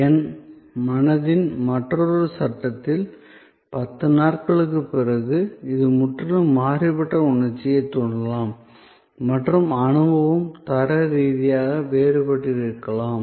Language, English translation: Tamil, In another frame of my mind, 10 days later, it may evoke a complete different set of emotions and the experience may be qualitatively different